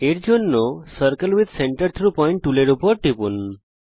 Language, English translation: Bengali, To do this click on the Circle with Centre through Point tool